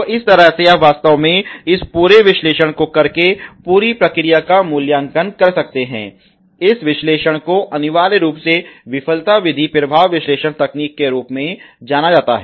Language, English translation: Hindi, So, that way you can actually do a evaluation of the whole process by doing this whole analysis, this analysis essentially is known as the failure mode effect analysis